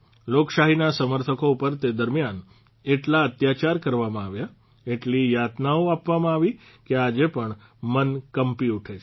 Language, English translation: Gujarati, The supporters of democracy were tortured so much during that time, that even today, it makes the mind tremble